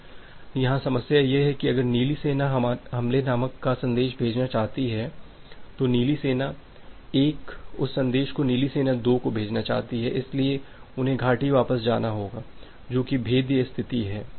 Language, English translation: Hindi, Now, the problem here is that if the blue army wants to send a message called attack, this blue army 1 wants to send that message to blue army 2 they have to go back the valley which is the vulnerable position